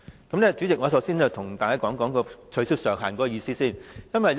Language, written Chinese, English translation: Cantonese, 代理主席，我首先向大家講解取消上限的意思。, Deputy Chairman let me first explain what is meant by removing the ceiling